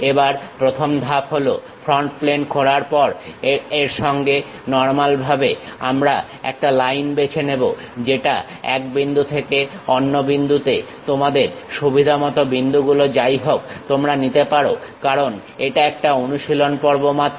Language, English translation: Bengali, Again, the first step is after opening the front plane normal to it, we pick a Line draw from one point to other point at your convenience whatever the points because it is a practice session